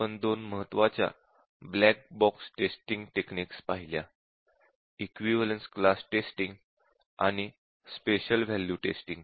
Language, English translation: Marathi, And we looked at two important black box testing techniques which are equivalence class testing and special value testing